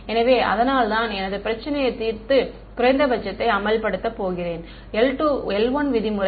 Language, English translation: Tamil, So, that is why I am going to solve my problem and enforce minimum l 1 norm